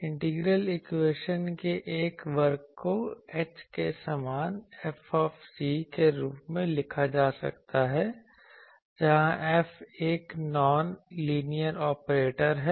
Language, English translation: Hindi, A class of integral equations can be written as F is equal to h where F is a non linear operator